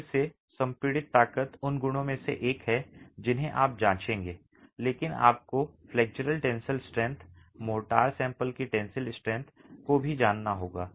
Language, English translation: Hindi, Okay, again, compressive strength is one of the properties that you would check, but you also need to know the flexual tensile strength, the tensile strength of the motor sample